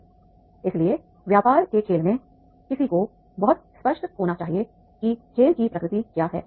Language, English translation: Hindi, So therefore in that business game, the one has to be very clear that is the what is the nature of game is